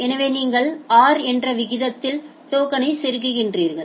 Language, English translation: Tamil, So, you are inserting token at a rate of r